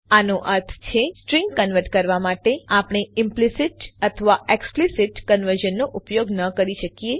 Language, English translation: Gujarati, This means for converting strings, we cannot use implicit or explicit conversion